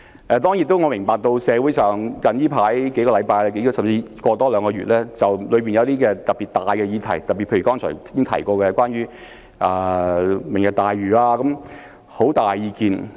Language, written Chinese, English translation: Cantonese, 當然我亦明白社會在這數星期、甚至近兩個月，對一些特別重大的議題，例如剛才提過的"明日大嶼"計劃，有很大意見。, Certainly I also understand that in these few weeks or even two months the community has strong views about some particularly important subjects such as the Lantau Tomorrow project mentioned earlier